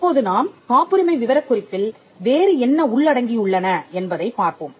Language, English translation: Tamil, Now, let us see what else is contained in the patent specification